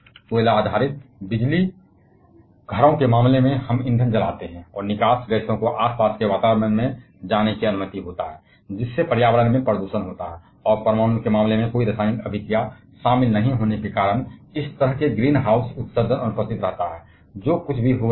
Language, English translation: Hindi, Of course, in case of incase of coal based power stations, we burn the fuel and the exhaust gases are allowed to escape to the surrounding, leading to environmental pollution, and such kind of greenhouse emission is absent in case of nuclear because there is no chemical reaction involved